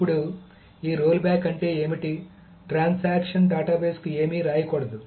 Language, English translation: Telugu, Now what does this rollback means is that so the transaction must not write anything to the database